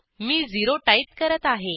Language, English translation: Marathi, I will enter 0